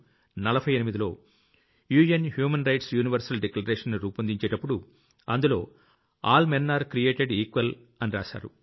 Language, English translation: Telugu, In 194748, when the Universal Declaration of UN Human Rights was being drafted, it was being inscribed in that Declaration "All Men are Created Equal"